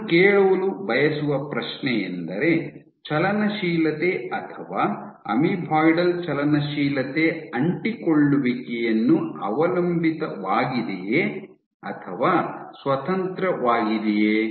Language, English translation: Kannada, So, the question that I want to ask is motility or is amoeboidal motility adhesion dependent or independent